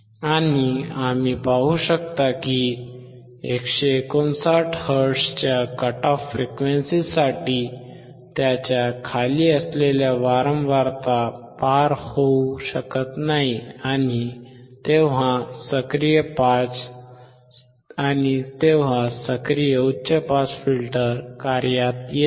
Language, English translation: Marathi, And we could see that for the cut off frequency of 159 hertz, below that the frequency could not pass that is the active high pass the high pass filter came into play